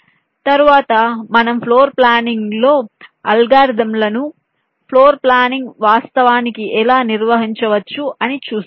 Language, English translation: Telugu, next we shall be seeing some of the floor planning algorithms, how floor planning can actually be carried out